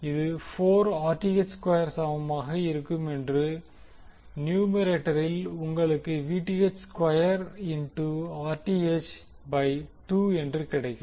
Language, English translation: Tamil, This will be equal to 4Rth square and then in numerator you will get Vth square into Rth by 2